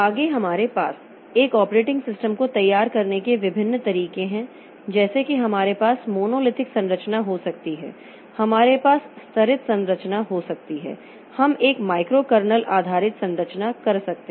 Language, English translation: Hindi, Next we will have so there are various OS to structure and operating system like we can have monolithic structure, we can have layered structure, we can have microkernel based structure